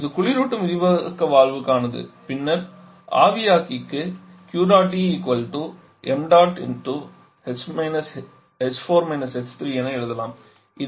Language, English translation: Tamil, This is for the refrigerant expansion valve then for the evaporator